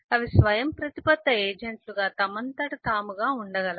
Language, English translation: Telugu, they can exist on their own as autonomous agents